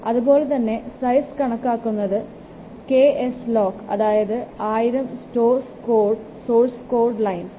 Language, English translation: Malayalam, Similarly the size it is normally considered as is normally considered in KSLOC that means 1,000 source lines of code